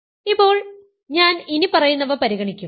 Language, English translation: Malayalam, Now, I will consider the following